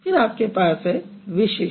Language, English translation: Hindi, And then you have distinctive